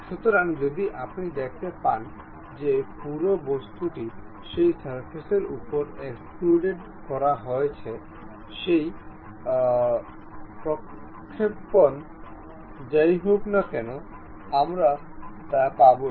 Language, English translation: Bengali, So, if you are seeing that entire object is extruded up to that surface; whatever that projection is there, we will have it